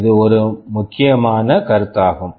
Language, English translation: Tamil, This is a very important consideration